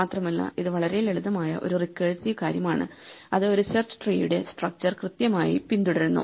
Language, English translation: Malayalam, So, this is exactly a binary search and it is a very simple recursive thing which exactly follows a structure of a search tree